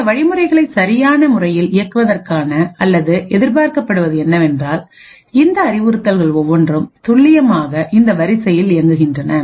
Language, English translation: Tamil, In order to actually run this these set of instructions in a correct manner or what is expected is that each of these instructions execute in precisely this order